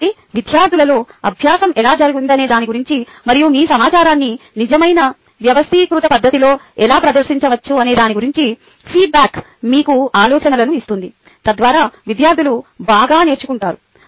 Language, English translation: Telugu, so this is how the feedback gives you ah ideas about how learning has happened in the students and how you can present your information ok, real, in a real, organized fashion so that students learn better